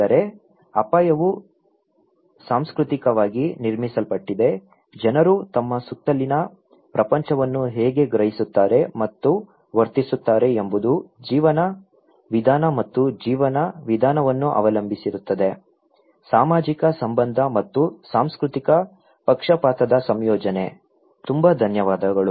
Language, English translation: Kannada, But so risk is culturally constructed, how people perceive and act upon the world around them depends on the way of life and way of life; a combination of social relation and cultural bias, thank you very much